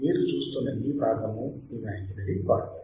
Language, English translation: Telugu, , This part you see imaginary part